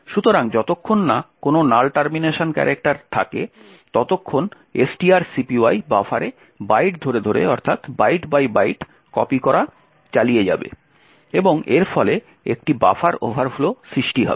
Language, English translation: Bengali, So as long as there is no null termination character STR copy will continue to execute copying the byte by byte into buffer and resulting in a buffer overflow